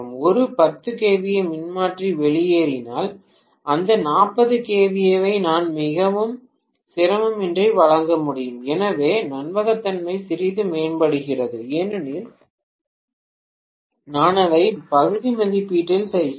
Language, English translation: Tamil, In case a 10 kVA transformer conks out, I would still be able to supply that 40 kVA without much difficulty, so reliability improves quite a bit because I am doing it in partial ratings